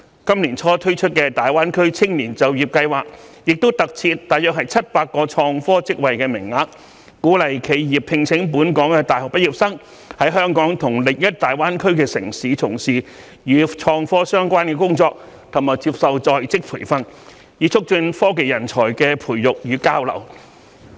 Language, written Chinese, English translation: Cantonese, 今年年初推出的大灣區青年就業計劃亦特設約700個創科職位名額，鼓勵企業聘請本港大學畢業生在香港和另一大灣區城市，從事與創科相關的工作及接受在職培訓，以促進科技人才的培養與交流。, Around 700 employment places designated for IT posts were provided under the Greater Bay Area Youth Employment Scheme launched earlier this year to encourage enterprises to recruit local university graduates to take up IT posts and receive on - the - job training in Hong Kong and other cities in the Greater Bay Area with a view to promoting IT talent cultivation and exchanges